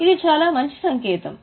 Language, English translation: Telugu, Is it a good sign